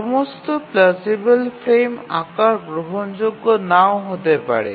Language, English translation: Bengali, All plausible frame sizes may not be acceptable